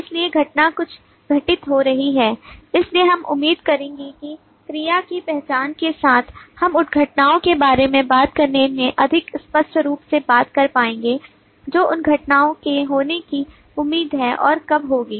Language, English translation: Hindi, so the event is some happening so we will expect that with the identification of verb we will be more clearly able to talk about what events are expected and when those events will happen and so on